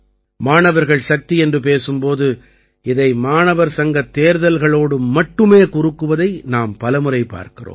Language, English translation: Tamil, Many times we see that when student power is referred to, its scope is limited by linking it with the student union elections